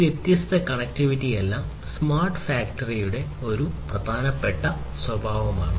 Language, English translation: Malayalam, So, all these different connectivities are very important and this is a very important aspect the important characteristic of smart factory